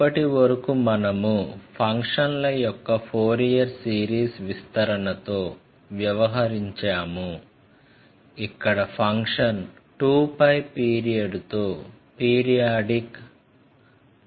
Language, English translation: Telugu, We have dealt with Fourier series expansion of functions where the period is of 2 pi, but if it is of arbitrary period, what will happen